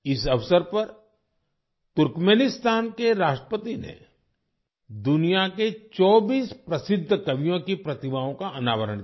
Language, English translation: Hindi, On this occasion, the President of Turkmenistan unveiled the statues of 24 famous poets of the world